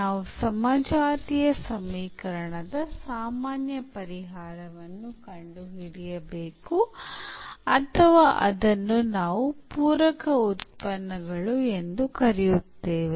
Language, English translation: Kannada, So, we have to find a general solution of the homogenous equation or rather we call it complementary functions